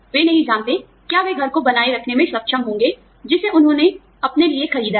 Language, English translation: Hindi, They do not know, whether, you know, they will be able to retain the house, that they have bought, for themselves